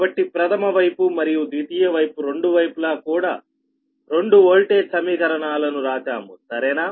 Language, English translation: Telugu, so secondary side and primary side, these two voltage equations are retained, right